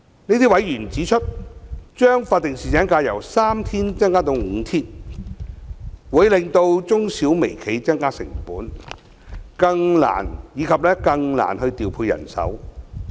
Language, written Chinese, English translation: Cantonese, 這些委員指出，將法定侍產假由3天增加至5天，會令中小微企增加成本，以及更難調配人手。, These members opine that increasing statutory paternity leave from three days to five days will increase the cost of small medium and micro enterprises making them even more difficult to deploy manpower